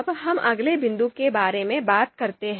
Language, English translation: Hindi, Now let us move to the second point